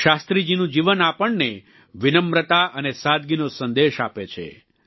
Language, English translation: Gujarati, Likewise, Shastriji's life imparts to us the message of humility and simplicity